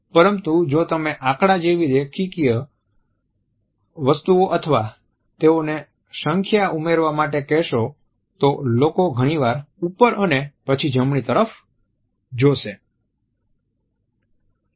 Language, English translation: Gujarati, But if you ask people about linear things like data statistics ask them to add up numbers they will quite often look up and to the right